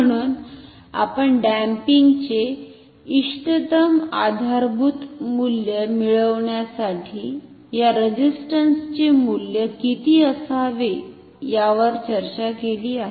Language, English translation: Marathi, So, we have discussed how much should be the value of the that resistance for my resistance to get optimal based value of the damping